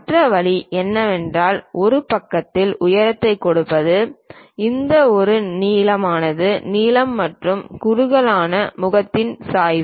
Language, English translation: Tamil, The other way is let us look at this one, giving the height of one side perhaps this one length of taper and slope of the tapered face